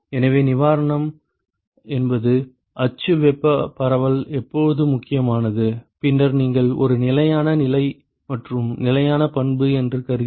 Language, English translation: Tamil, So, relief means when is axial thermal dispersion is important and then if you assume a steady state and constant property